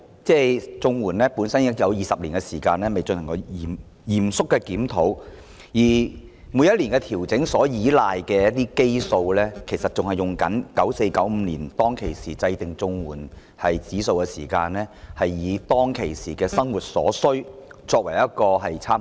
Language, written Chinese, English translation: Cantonese, 綜援已20年未曾進行嚴肅的檢討，而每年調整金額所依賴的基數，其實仍沿用 1994-1995 年度制訂的社會保障援助物價指數，以當時的生活需要為參考。, No serious review of CSSA has been conducted for 20 years . The annual adjustment in the CSSA rates is made on the basis of the base numbers which are still actually the Social Security Assistance Index of Prices formulated in 1994 - 1995 by drawing reference from the daily livelihood needs at the time